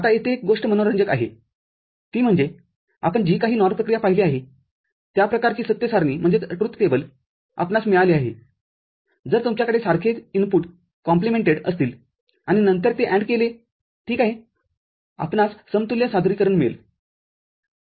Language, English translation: Marathi, Now, one thing is interesting over here is that whatever NOR operation you have seen that kind of truth table that you have got if you have the same inputs complemented and then AND it alright, we get an equivalent representation